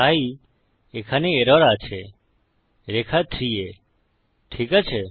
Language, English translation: Bengali, So thats where the error is on line 3, okay